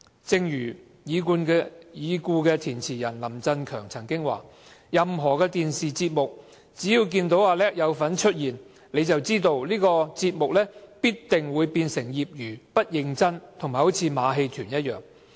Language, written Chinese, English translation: Cantonese, 正如已故填詞人林振強曾說："任何電視節目只要見到'阿叻'有份出現，你就知道這個節目必定會變成業餘、不認真和像馬戲團一樣。, As the late lyricist Richard LAM once said If you see Natalis CHAN showing up in any television programme you will know that the programme will definitely be amateurish and frivolous just like a farce